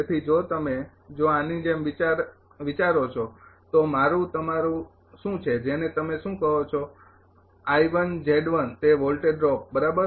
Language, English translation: Gujarati, So, if you if you thing like that therefore, what is my your what you call that I one z one that voltage drop right